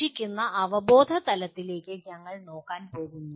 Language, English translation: Malayalam, We are going to look at the remaining cognitive levels